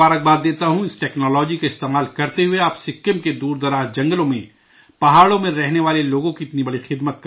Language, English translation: Urdu, By using this technology, you are doing such a great service to the people living in the remote forests and mountains of Sikkim